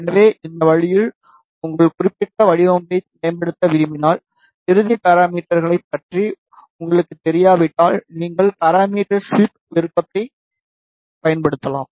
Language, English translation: Tamil, So, in this way if you want to optimize your particular design, and if you are not sure about the final parameters, then you can use the parameter sweep option